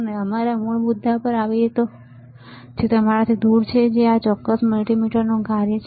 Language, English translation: Gujarati, And we come back to our original point which is your off this is the function of this particular multimeter